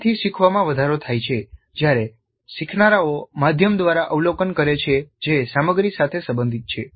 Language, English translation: Gujarati, So learning from demonstration is enhanced when learners observe through media that is relevant to the content